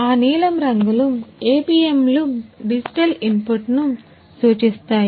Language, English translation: Telugu, That blue colours APMs indicates the digital input ah